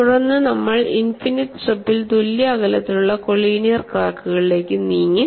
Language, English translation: Malayalam, I am able to cull out a finite strip from an evenly spaced collinear cracks